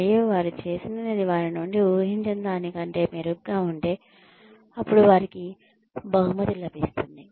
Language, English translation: Telugu, And, if they done, better than, what was expected of them, then they are rewarded